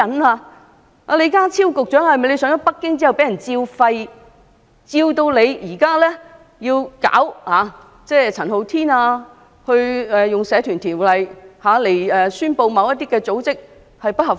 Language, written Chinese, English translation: Cantonese, 李家超局長上京時是否受到訓斥，以致要整治陳浩天，以《社團條例》宣布其組織不合法？, Had Secretary John LEE been reprimanded when he visited Beijing so that he had to sanction Andy CHAN by declaring that his party was illegal under the Societies Ordinance ?